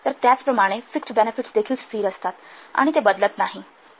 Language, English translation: Marathi, So, similarly fixed benefits they are also constant and they do not change